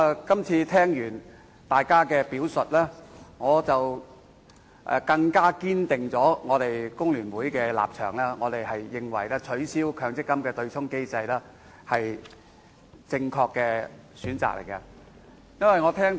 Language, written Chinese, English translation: Cantonese, 今次聽過大家的表述，我們工聯會保持堅定立場，認為取消強制性公積金對沖機制是正確的選擇。, Having heard the remarks made by Members we in the Hong Kong Federation of Trade Unions maintain our firm position that it is a correct choice to abolish the Mandatory Provident Fund MPF offsetting mechanism